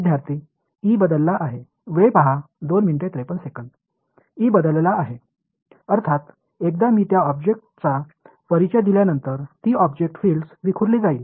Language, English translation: Marathi, E has changed; obviously, once I introduce an that object, that object is going to scatter the fields